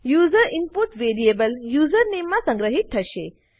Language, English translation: Gujarati, The user input will be stored in the variable username